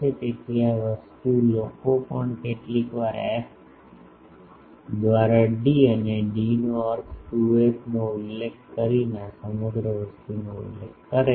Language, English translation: Gujarati, So, this thing people also sometimes this whole thing is specified by specifying the f by d, d means 2 f